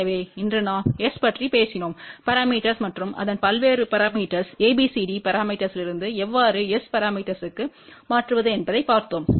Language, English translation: Tamil, So, today we talked about S parameters and what are its various parameters we looked at how to convert from ABCD parameters to S parameter